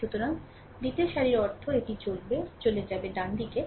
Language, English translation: Bengali, So, second row means this one will go, right